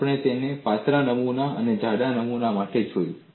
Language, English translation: Gujarati, We have seen it for a thin specimen and a thick specimen